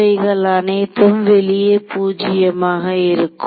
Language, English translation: Tamil, So, these are all 0 outside